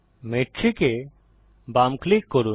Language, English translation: Bengali, Left click Metric